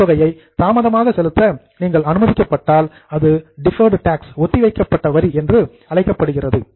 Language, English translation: Tamil, If you are allowed to defer the amount of tax, it will be called as a deferred tax